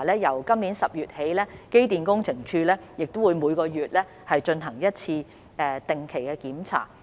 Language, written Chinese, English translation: Cantonese, 由今年10月起，機電工程署亦會每月進行一次定期檢查。, Starting from October this year the Electrical and Mechanical Services Department will also carry out regular inspections once a month